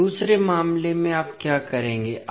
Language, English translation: Hindi, Now, in the second case what you will do